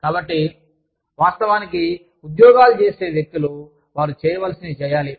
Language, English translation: Telugu, So, people, who actually do the jobs, that are required to be done